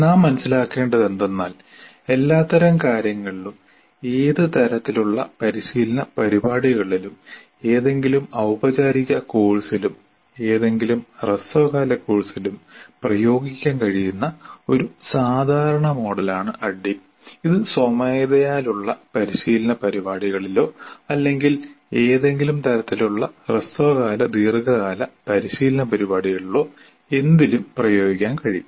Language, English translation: Malayalam, So what needs to be understood is the ADD is such a generic model, it is applied to all types of things, any type of training program, any formal course, any short term course, it could be manual training program or on any subject, short term, long term, anything it can be applied